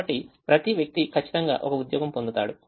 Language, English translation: Telugu, so each person will get exactly one job